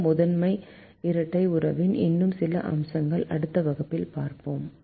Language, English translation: Tamil, will see some more aspects of this primal dual relationship in the next class